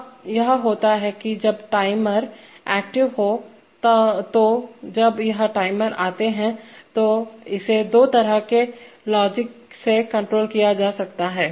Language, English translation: Hindi, Now this thing happens when the timer is active, so when is this timer active, that is, that can be again controlled by using two kinds of logic